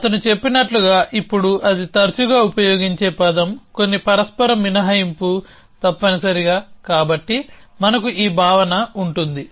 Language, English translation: Telugu, So, as he told with, now this is an often use term some mutual exclusion essentially, so we will have this notion of